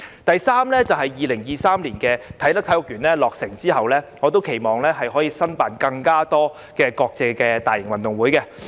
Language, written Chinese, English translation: Cantonese, 第三，隨着啟德體育園於2023年落成，我期望香港可以申辦更多國際大型運動會。, Thirdly with the completion of Kai Tak Sports Park in 2023 I hope Hong Kong will bid to host more major international sporting events